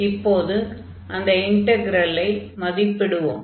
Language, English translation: Tamil, So, now let us evaluate this integral